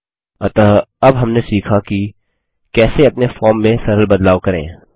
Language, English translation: Hindi, So now, we have learnt how to make a simple modification to our form